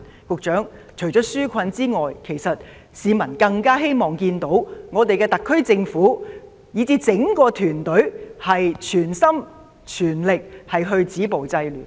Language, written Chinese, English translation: Cantonese, 局長，除了紓困外，市民更希望看到特區政府以至整個團隊全心全力止暴制亂。, Secretary apart from the relief measures the public all the more wish to see the SAR Government and the entire ruling team stopping violence and curbing disorder wholeheartedly